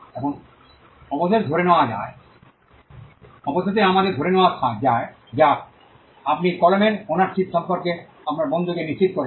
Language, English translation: Bengali, Now, eventually let us assume that, you convinced your friend on the ownership of your pen